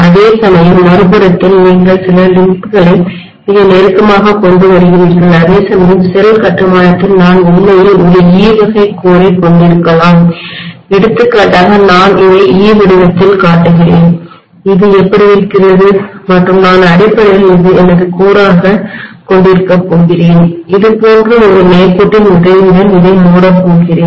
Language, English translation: Tamil, Whereas, on the other side very closely you are having the certain limb coming up whereas in shell construction I may have actually an E type of core for example I am just showing this is in the shape of E, this is how it is and I am going to have basically this as my core and I am going to close this with the help of again a straight line like this, fine